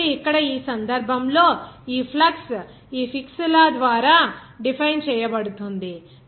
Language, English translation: Telugu, So, here in this case, this flux will be defined by this Fick’s law